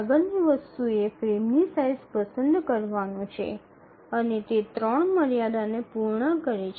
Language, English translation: Gujarati, Now the next thing is to select the frame size and we have to see that it satisfies three constraints